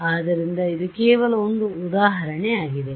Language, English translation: Kannada, So, this is just an example